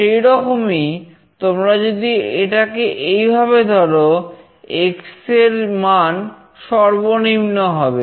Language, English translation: Bengali, Similarly if you hold it like this, value of X should be minimum